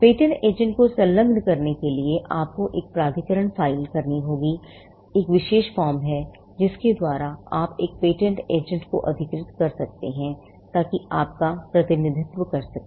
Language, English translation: Hindi, To engage a patent agent, you will have to file an authorization; there is a particular form by which you can authorize a patent agent, to represent you